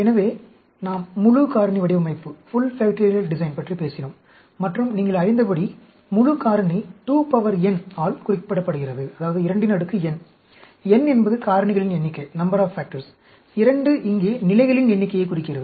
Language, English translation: Tamil, So, we talked about Full Factorial design, and as you know, Full Factorial is represented by 2 power n, n is the number of factors; 2 here denotes the number of levels